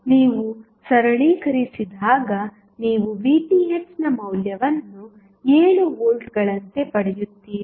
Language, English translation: Kannada, So when you will simplify you will get the value of Vth as 7 volts